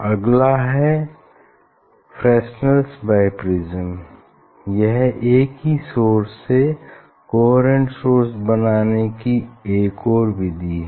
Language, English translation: Hindi, Next one is Fresnel s Biprism this is another way to generate the coherent source from same source to generate two source